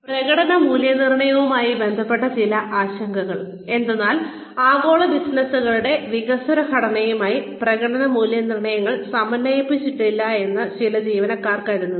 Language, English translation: Malayalam, Some concerns, regarding performance appraisals are that, some employees feel that, performance appraisals are not synchronized, with the developing structure of global businesses